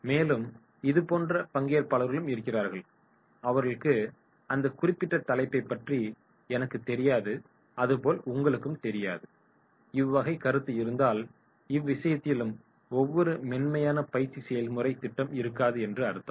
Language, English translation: Tamil, Now if the participants are like this that is “I do not know about that particular topic but you also do not know” if there is this perception then in that case also there will not be a smooth training program